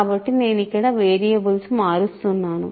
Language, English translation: Telugu, So, I am changing variables here